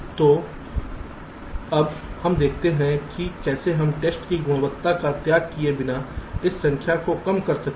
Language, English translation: Hindi, so now we see how we can reduce this number without sacrificing the quality of test